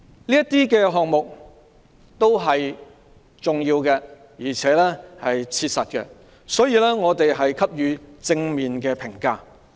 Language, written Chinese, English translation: Cantonese, 上述項目是重要及切實的，我們給予正面評價。, The funding items above are important and practical . They deserve positive comments